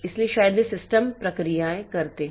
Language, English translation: Hindi, So, they are they may be system processes